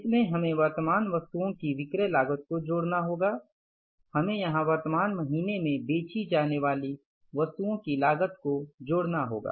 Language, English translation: Hindi, We have to add here cost of the goods to be sold in the current month